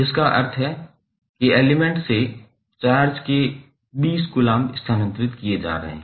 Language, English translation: Hindi, It means that 20 coulomb of charge is being transferred from through the element